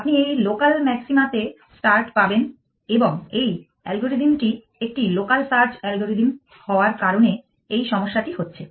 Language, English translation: Bengali, You will get start in this local maxima and that is the problem that terms because of the fact that this algorithm is a local search algorithm